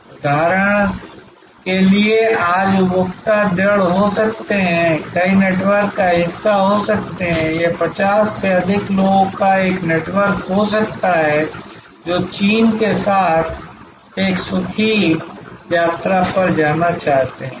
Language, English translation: Hindi, For example, today consumers can firm, can be part of many networks, it could be a network of people over 50 wanting to go on a pleasure trip across China